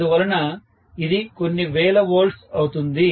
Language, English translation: Telugu, So, this will be some thousands of volts